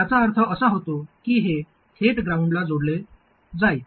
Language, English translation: Marathi, So that means that this will be connected directly to ground